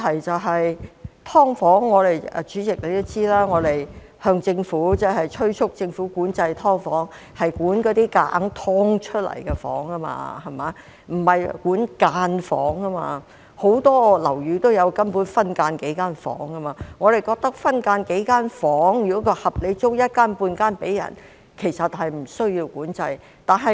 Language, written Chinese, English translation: Cantonese, 代理主席，大家都知道我們催促政府管制"劏房"，管的是那些強行"劏"出來的房，而不是板間房，根本很多樓宇也有數間分間房，我們認為如果分間數間房，並合理地把一間半間出租，其實是不需要管制的。, Deputy President Members will know that we urge the Government to regulate SDUs which are individual rooms produced by deliberately subdividing the flat not cubicles . In fact cubicles are common in many flats . We think that if a flat is split to form a few cubicles and say one of them is let under reasonable circumstances no regulation is necessary